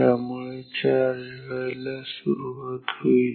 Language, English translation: Marathi, So, it will start to discharge again